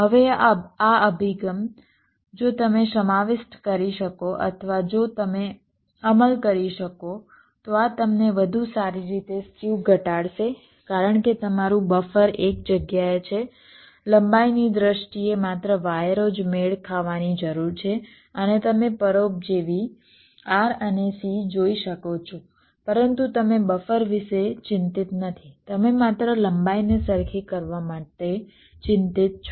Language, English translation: Gujarati, now this approach, if you can incorporate or if you can implement this, will give you better skew minimization because your buffer is in one place only wires need to be matched in terms of the lengths and you can see the parasitics r, n, c